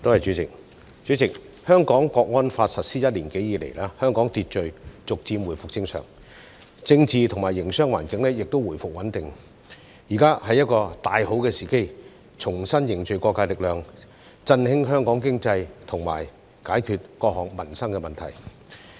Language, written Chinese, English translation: Cantonese, 代理主席，《香港國安法》實施一年多以來，社會秩序逐漸回復正常，政治及營商環境亦回復穩定，現在是一個大好時機，重新凝聚各界力量，振興香港經濟及解決各項民生問題。, Deputy President since the implementation of the National Security Law in Hong Kong more than a year ago social order has gradually returned to normal and the political and business environment has also become stable now is a good time to reunite the strength of all sectors to revitalize Hong Kongs economy and solve various livelihood issues